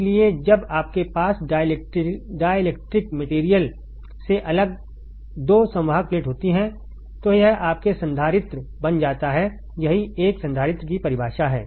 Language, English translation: Hindi, So, when you have 2 conducting plate separated by dielectric material it becomes your capacitor, that is the definition of a capacitor